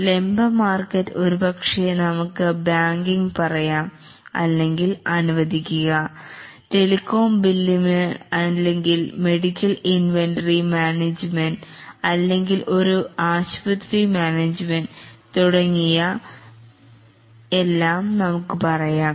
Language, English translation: Malayalam, The vertical market may be for, let's say, banking, or let's say telecom billing or maybe medical inventory management or maybe a hospital management and so on